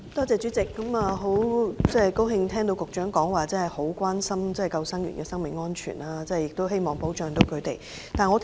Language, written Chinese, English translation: Cantonese, 主席，很高興聽到局長表示關心救生員的生命安全，也希望可以保障他們。, President I am glad to hear that the Secretary is concerned about the safety of lifeguards and desires to protect them